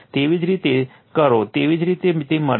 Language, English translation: Gujarati, If you do so, same way you will get it